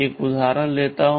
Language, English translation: Hindi, Let me take an example